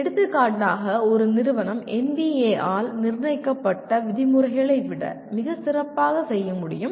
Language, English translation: Tamil, For example, an institution can do far better than as per the norms that are set by NBA